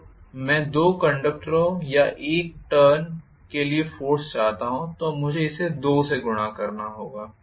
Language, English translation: Hindi, This is what is the force per conductor if I want rather force for two conductors or one turn I have to multiply this by 2,right